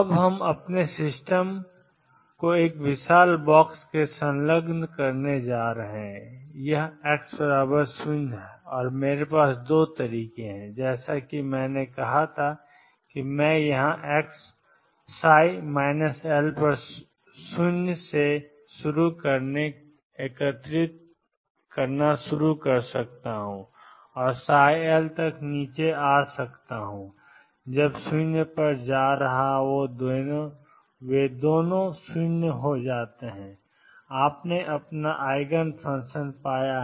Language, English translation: Hindi, We are now going to enclose our system in a huge box this is x equals 0 and I have 2 methods one as I said I can start integrating from here starting with psi minus L equals 0 and come down to psi L going to 0 when they both become 0 you have found your eigenfunction